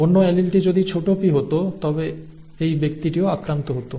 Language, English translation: Bengali, If the other allele had been a small p then this person would have also been affected